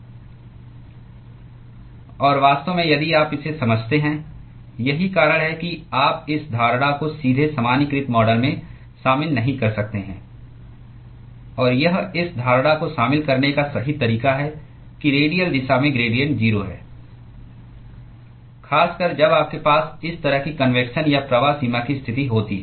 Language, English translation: Hindi, And in fact, if you understand that that is the reason why you cannot incorporate this assumption directly into the generalized model; and this is the correct way to incorporate the assumption that the gradients in the radial direction is 0, particularly when you have this kind of a convection or flux boundary condition